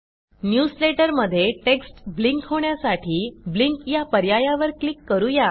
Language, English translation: Marathi, In order to blink the text in the newsletter, we click on the Blink option And finally click on the OK button